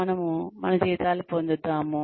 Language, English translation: Telugu, We get our salaries